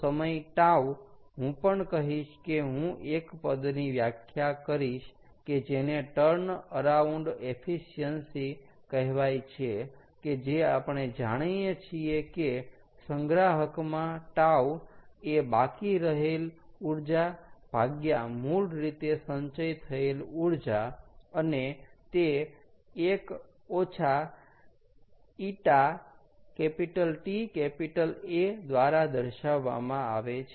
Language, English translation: Gujarati, so after time tau, i would also say i would define a term called turn around efficiency which, as we have known, as we have seen before, is energy left in storage at tau, divided by original energy stored